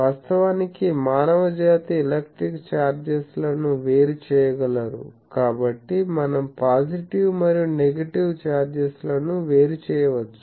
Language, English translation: Telugu, Actually mankind could separate the electric charges so we can separate the positive and negative charges